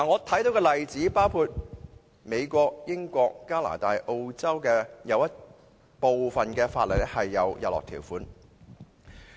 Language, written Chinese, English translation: Cantonese, 舉例說，美國、英國、加拿大和澳洲的部分法例是有日落條款的。, For instance sunset clauses are found in some laws in the United States the United Kingdom Canada and Australia